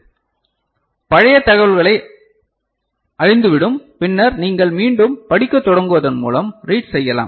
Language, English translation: Tamil, So, the old information is lost so, then you can again read by invoking read